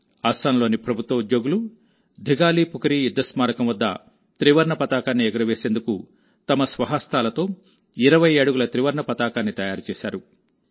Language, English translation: Telugu, In Assam, government employees created a 20 feet tricolor with their own hands to hoist at the Dighalipukhuri War memorial